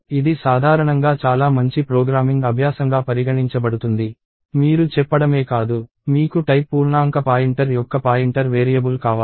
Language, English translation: Telugu, So, this is generally considered a very good programming practice, you not only said, you want a pointer variable of type integer pointer